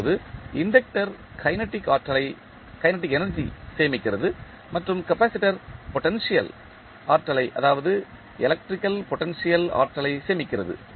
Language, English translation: Tamil, Now, the inductor stores the kinetic energy and capacitor stores the potential energy that is electrical potential energy